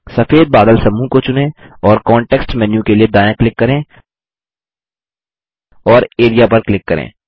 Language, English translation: Hindi, Select the white cloud group and right click for the context menu and click Area